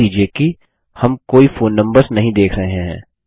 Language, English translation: Hindi, Note that we dont see any phone numbers